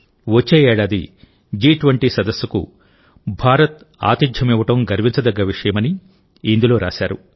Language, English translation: Telugu, In this he has written that it is a matter of great pride for India to host the G20 summit next year